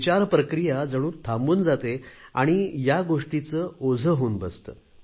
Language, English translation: Marathi, The thought process comes to a standstill and that in itself becomes a burden